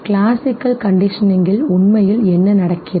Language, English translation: Tamil, So what actually happens in classical conditioning